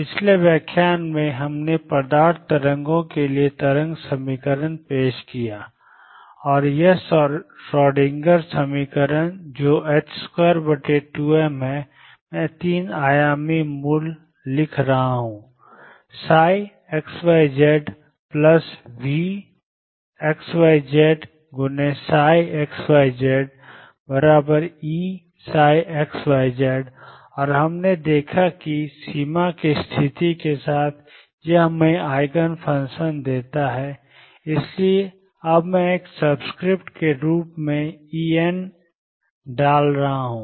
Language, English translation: Hindi, In the previous lecture, we introduced the wave equation for material waves and this the Schrodinger equation which is minus h cross square over 2 m, I am writing the 3 dimensional origin psi x, y, z plus v x, y, z psi x, y, z equals E psi x, y, z and we saw that with the boundary conditions, it gave us Eigen function, so I am going to now put, E n as a subscript